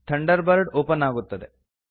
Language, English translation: Kannada, Thunderbird window opens